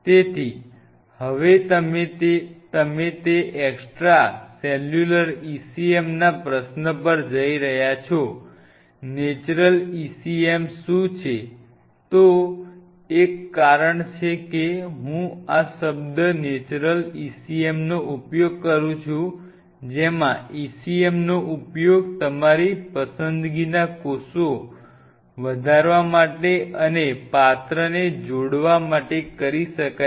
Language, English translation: Gujarati, what are those extracellular ecm, natural ecm there is a reason why i use this word natural ecm in which ecm which can be used to the vessels to grow the cells of your choice, one [noise]